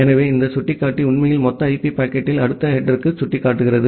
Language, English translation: Tamil, So, this pointer actually points to the next header, in the total IP packet